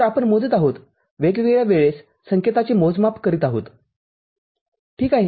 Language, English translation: Marathi, So, we are measuring, having a measurement of the signal at different time instances – ok